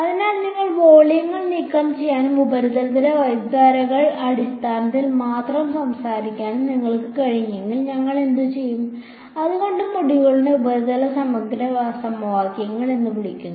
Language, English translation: Malayalam, So, somehow what we have manage to do if you have manage to remove the volumes and talk only in terms of currents on the surface; that is why these what that is why the whole module is called surface integral equations